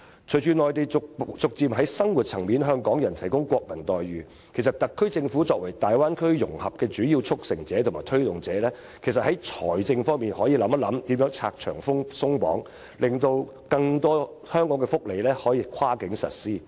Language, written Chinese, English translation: Cantonese, 隨着內地逐漸在生活層面向港人提供國民待遇，特區政府作為大灣區融合的主要促成者和推動者，其實可以在財政方面想想如何拆牆鬆綁，令更多香港的福利措施可以跨境實施。, With the Mainlands gradual provision of national treatment to Hong Kong people in their daily lives the SAR Government as the main facilitator and promoter of the Bay Area integration plan can actually ponder how to remove barriers and lift restrictions on the financial front to enable the cross - boundary implementation of more Hong Kong welfare measures